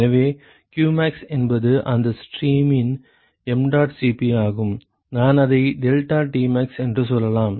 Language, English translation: Tamil, So, qmax is mdot Cp of that stream I call it m let us say deltaTmax